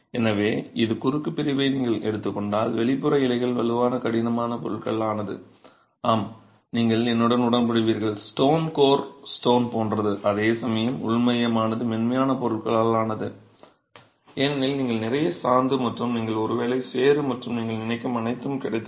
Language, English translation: Tamil, So, if you take this cross section, the outer leaves are made out of stronger, stiffer material, yes, you would agree with me like stone, coarse stone, whereas the inner core is made out of softer material because you have a lot of mortar and you have got probably mud and everything that you can think of